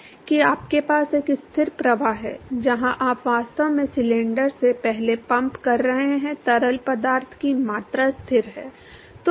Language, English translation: Hindi, Supposing you have a steady flow where the volume of the fluid that you are actually pumping past the cylinder is constant